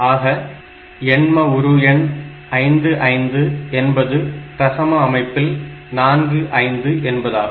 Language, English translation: Tamil, So, this 55 in octal system is 45 in the decimal system